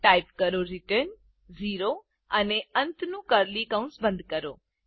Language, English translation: Gujarati, Type return 0 and close the ending curly bracket